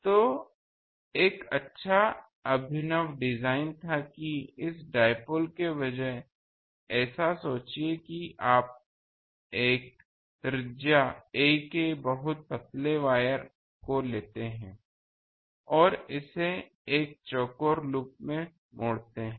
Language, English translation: Hindi, So, there was a good innovative design that instead of a dipole actually this dipole, you think that you take a very thin wire of radius “a” and fold it in a square loop